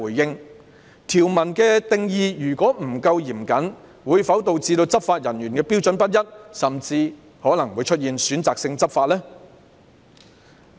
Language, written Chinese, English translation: Cantonese, 如果條文的定義不夠嚴謹，會否導致執法人員採用的標準不一，甚至可能會出現選擇性執法呢？, If the provisions are not strictly defined will it lead to inconsistency in the criteria adopted by enforcement officers or even selective enforcement?